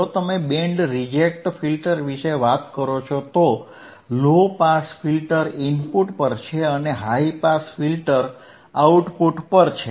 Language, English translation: Gujarati, iIf you talk about band reject filter and, low pass filter is at the input and high pass filter is at the output right